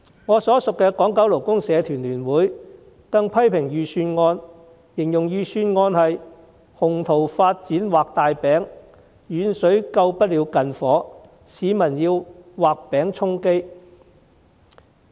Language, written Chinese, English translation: Cantonese, 我所屬的港九勞工社團聯會更批評預算案是"鴻圖發展畫大餅，遠水救不了近火，市民要畫餅充飢"。, The Federation of Hong Kong and Kowloon Labour Unions FLU to which I belong has even criticized the Budget for drawing up ambitious development plans failing to quench a nearby fire with distant water and allaying peoples hunger with cakes in a drawing